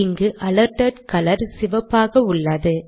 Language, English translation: Tamil, I want to make this alerted color blue